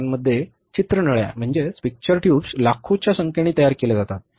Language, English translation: Marathi, In Taiwan, picture tubes are manufactured in millions of numbers